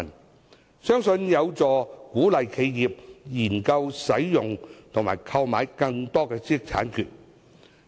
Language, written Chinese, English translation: Cantonese, 這樣一來，相信有助鼓勵企業研究使用和購買更多的知識產權。, I believe this will help encourage enterprises to consider using and purchasing more IPRs